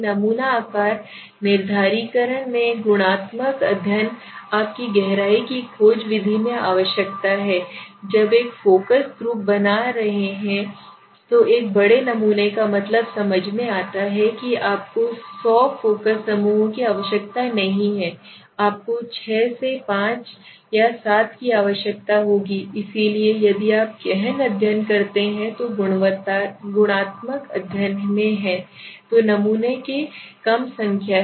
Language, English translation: Hindi, Sample size determination qualitative study you require in depth exploration method of understanding so there a large samples are make a meaning so when you are doing a focus group you know you need not to hundred focus groups you will be need 6 to 5 or 6 7 something like this or around that so if you do in depth study which is in qualitative study so you have number of samples to be less